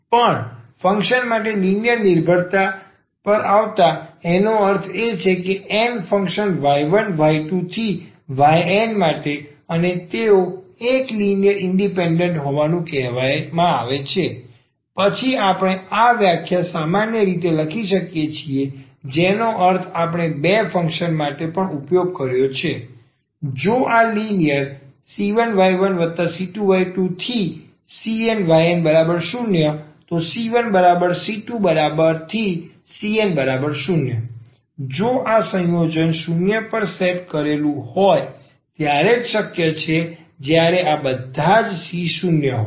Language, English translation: Gujarati, Coming to the linear dependence for many functions; that means, for n functions y 1, y 2, y n and they are said to be a linearly independent and then we can generalize this definition which we have also used for two functions, that if this linear combination c 1 y 1 plus c 2 y 2 plus c n and y n is equal to 0, if this combination when set to 0 is possible only when all these c’s are 0